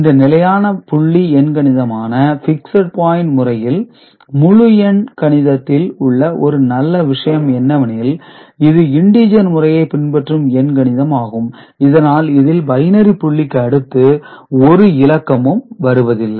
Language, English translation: Tamil, And one good thing about this fixed point arithmetic is that integer arithmetic circuit can be used because integer representation is just a special case of this where there is no bit after the binary point ok